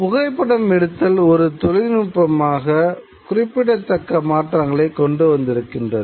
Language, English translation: Tamil, Now, photography as a technology brings about certain changes